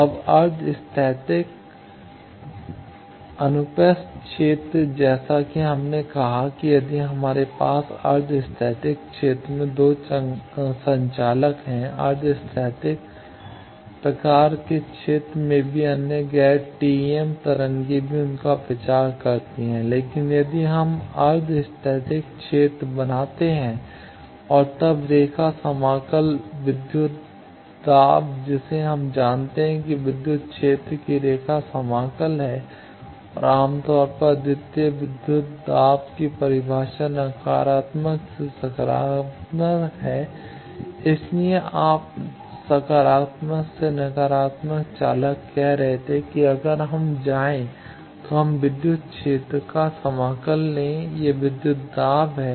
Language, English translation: Hindi, Now, quasi static transverse field as we said that if we have quasi static field in 2 conductors in quasi static type of fields also other non TEM waves also propagate to them, but if we make the quasi static approximation and then the line integral voltage we know is the line integral of electrical field and generally, the unique voltage definition is from negative to positive that is why you were saying from positive to negative the conductor if we go, if we take the line integral of the electric field that is voltage